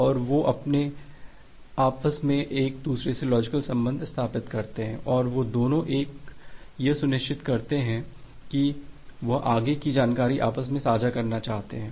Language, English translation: Hindi, And they are they establish a logical link among themself and they both of them become sure that they want to share the further information among themselves